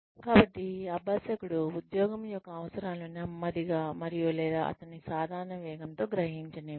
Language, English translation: Telugu, So, let the learner absorb, the needs of the job, at a slow pace, and or, at a normal pace, at his or herown speed